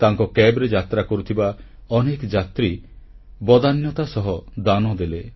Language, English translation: Odia, His cab passengers too contributed largeheartedly